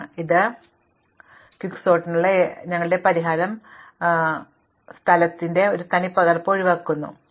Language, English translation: Malayalam, Now, our solution to Quicksort avoids this duplication of space, but it is recursive